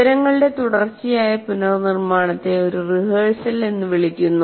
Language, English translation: Malayalam, So this continuous reprocessing of information is called rehearsal